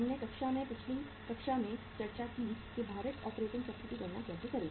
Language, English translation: Hindi, We discussed in the class, in the previous class that how to calculate the the weighted operating cycle